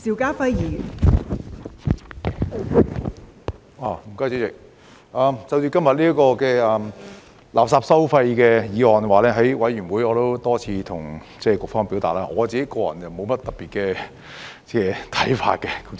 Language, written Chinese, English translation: Cantonese, 就着今天這項垃圾收費的法案，在法案委員會我也多次向局方表達，我個人沒有甚麼特別的看法。, Regarding this Bill on waste charging being discussed today I have told the Bureau many times at the Bills Committee that personally I do not have any particular views